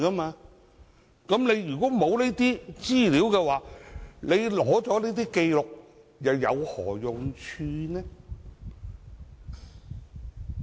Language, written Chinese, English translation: Cantonese, 沒有這些資料，即使取得交易紀錄又有何用處呢？, What is the point of seizing transaction records without such information?